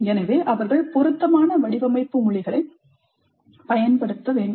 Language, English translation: Tamil, So they must use appropriate design languages